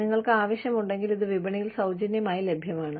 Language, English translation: Malayalam, It is freely available in the market, if you need it